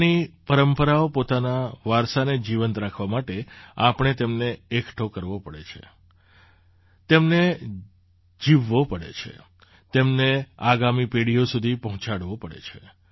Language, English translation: Gujarati, To keep our traditions, our heritage alive, we have to save it, live it, teach it to the next generation